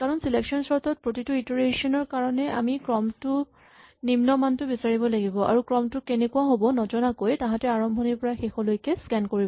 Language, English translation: Assamese, Because in selection sort, in each iteration we have to find the minimum value in a cell in a sequence and with no prior knowledge about what the sequence looks like it will always scan the sequence from beginning to end